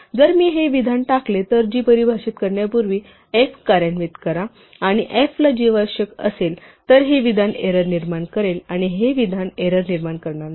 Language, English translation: Marathi, So if I put this statement, execute f before I define g and f requires g then this statement will create an error whereas this statement will not